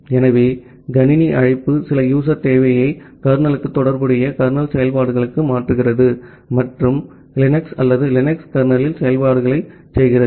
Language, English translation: Tamil, So, the system call transfers some user requirement to the kernel corresponding kernel operations and performed operations at the Linux or UNIX kernel